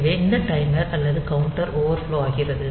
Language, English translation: Tamil, So, this timer or the counter is overflowing